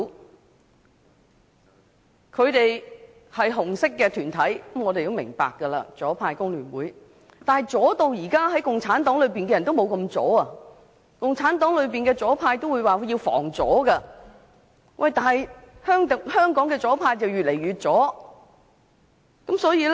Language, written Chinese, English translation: Cantonese, 我們明白他們屬於"紅色"團體，是左派的工聯會，但是，如今連共產黨也不及他們左，共產黨說要"防左"，反觀香港的左派卻越來越左。, We understand that they belong to a red group the leftist FTU but now even the Communist Party of China CPC is not as radical as them . CPC says that it is important to guard against the leftist yet the leftists in Hong Kong are getting more and more radical